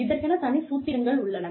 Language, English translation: Tamil, There are formulas